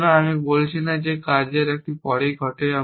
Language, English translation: Bengali, So, I am not saying that this action happens immediately after this